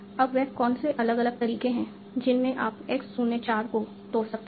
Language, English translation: Hindi, Now, what are different in which you can break x04